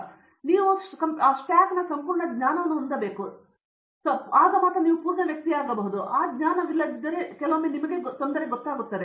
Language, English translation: Kannada, So, anything that I want to do anywhere in computing I need to have the entire knowledge of the stack and then only you get, you become a full person and if you don’t have that knowledge then it sometimes it becomes a quite you know